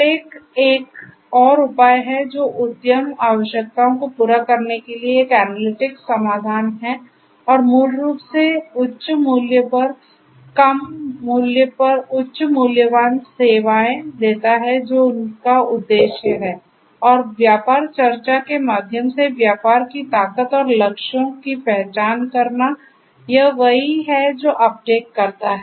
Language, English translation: Hindi, Uptake is another solution which is an analytics solution for enter catering to enterprise requirements and high uptake basically gives high valued services at a low cost that is their motive their objective which is basically to offer high valued solutions at low cost and identifying the strength and goals of business through trade discussions this is this is what uptake does